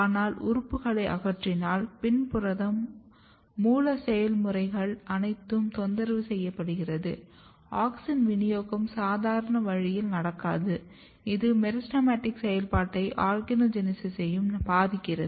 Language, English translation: Tamil, But, if you remove organs the programming is totally disturbed as you can see from the PIN protein, the distribution of auxin is not happening in the normal way this is affecting meristematic activity as well as organogenesis